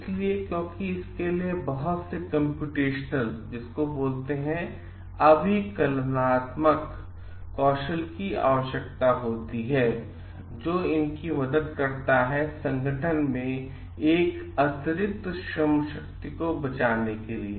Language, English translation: Hindi, So, because it requires lot of computational skills these helps the organization to save an additional man power